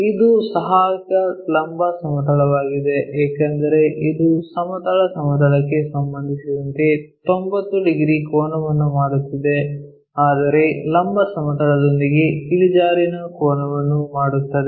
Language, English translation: Kannada, This is a auxiliary vertical plane because it is making 90 degrees angle with respect to this horizontal plane, but making an inclination angle with the vertical plane